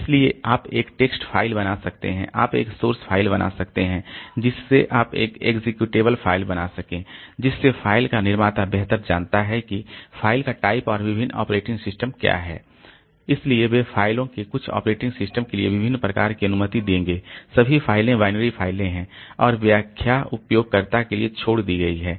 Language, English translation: Hindi, So, you may create a text file, you can create a source file, you can create executable file so that way the creator of the file so knows better like what is the type of the file and different operating systems so they will allow different types of files for some operating system all files are binary files and interpretation is left to the user